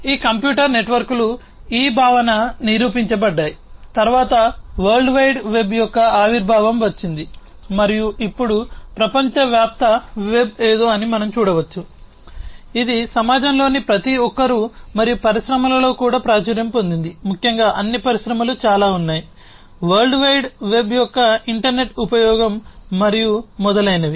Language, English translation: Telugu, So, this computer networks the concept was proven, then came the emergence of the world wide web, and now we can see that the world wide web is something, that is popularly used by everybody in the society and also in the industries particularly all industries have lot of use of internet lot of use of world wide web and so on